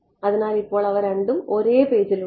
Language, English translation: Malayalam, So, now we have them both on the same page